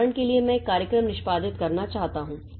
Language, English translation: Hindi, For example, I want to execute a program